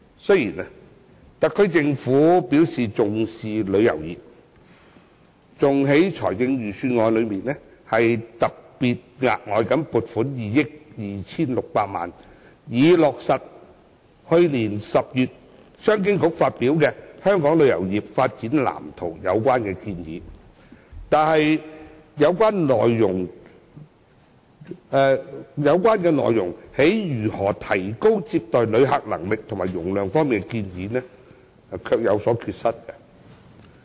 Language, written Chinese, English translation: Cantonese, 雖然特區政府表示重視旅遊業，更在財政預算案中額外撥款2億 2,600 萬元，以落實去年10月商務及經濟發展局發表的《香港旅遊業發展藍圖》中的有關建議，但有關如何提高接待旅客能力和客量方面的建議卻有所缺失。, While the SAR Government has stated that it attaches great importance to tourism and allocated an additional 226 million in the Budget to implement the recommendations made in the Development Blueprint for Hong Kongs Tourism Industry issued by the Commerce and Economic Development Bureau in October last year there are inadequacies in its recommendations on upgrading visitor receiving capability and capacity